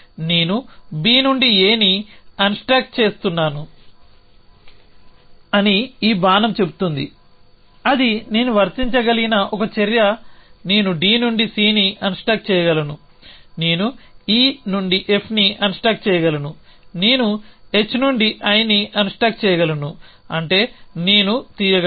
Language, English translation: Telugu, So, this arrow says that I am unstack A from B that is one action I can apply I can unstack C from D, I can unstack F from E, I can unstack I from H is I can pick up